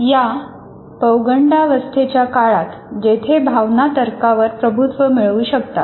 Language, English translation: Marathi, So what happens during this period, the adolescent period, where emotion can dominate the reason